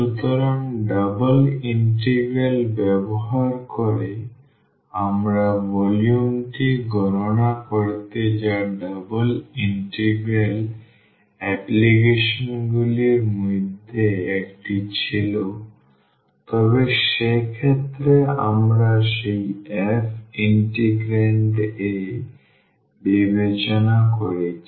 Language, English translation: Bengali, So, using the double integral also we have computed the volume that was one of the applications of the double integral, but in that case we considered that f in the integrand